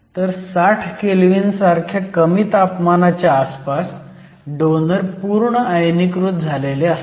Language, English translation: Marathi, So, at a relatively low temperature of around 60 kelvin, you get the donors to be completely ionized